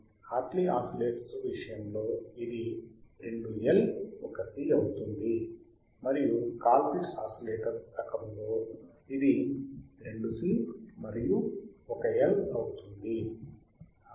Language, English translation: Telugu, iIn case of Hartley oscillator it will be 2 L;, 1 C,; and in type of Colpitt’s oscillator it will be 2 C and 1 L